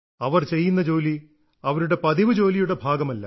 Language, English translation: Malayalam, The tasks they are performing is not part of their routine work